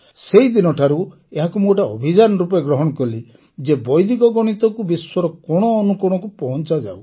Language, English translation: Odia, Since then I made it a mission to take Vedic Mathematics to every nook and corner of the world